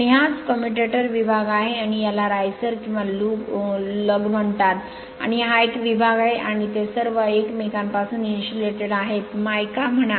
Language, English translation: Marathi, And this is that commutator segment right and this is called riser or lug and this is a segment and they are all insulated separated from each other by mica say